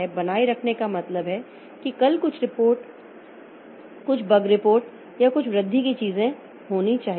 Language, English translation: Hindi, Maintain means tomorrow there is some report, something, some bug report or some enhancement thing to be done